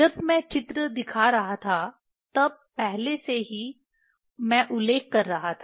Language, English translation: Hindi, Already I was mentioning when I was showing the picture